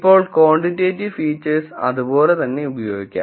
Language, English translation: Malayalam, Now quantitative features can be used as they are